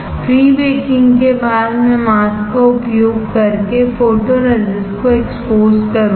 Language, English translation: Hindi, After prebaking I will expose the photoresist using a mask